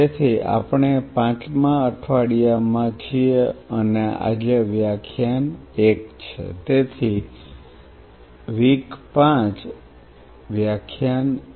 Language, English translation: Gujarati, So, we are into Week 5 and today is Lecture 1 so, W5 L1